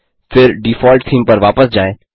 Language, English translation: Hindi, * Then switch back to the default theme